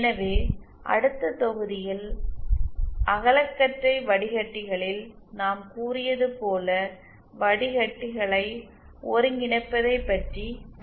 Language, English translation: Tamil, So in the next module we will be studying about synthesizing filters as we said that the broad band filters